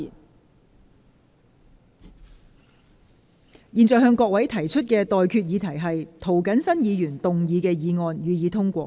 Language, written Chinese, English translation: Cantonese, 我現在向各位提出的待決議題是：涂謹申議員動議的議案，予以通過。, I now put the question to you and that is That the motion moved by Mr James TO be passed